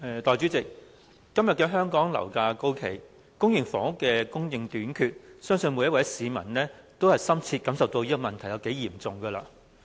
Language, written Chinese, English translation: Cantonese, 代理主席，今天香港樓價高企，公營房屋供應短缺，相信每一位市民也深切體會到這問題有多嚴重。, Deputy President in the face of sky - high property prices and shortage of public rental housing PRH I believe every member of the public would deeply understand how serious the housing problem is in Hong Kong